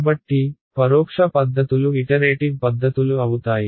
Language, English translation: Telugu, So, indirect methods are iterative methods